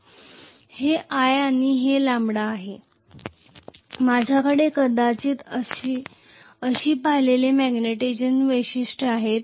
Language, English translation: Marathi, This is i this is lambda; I am going to have actually the first magnetization characteristics probably like this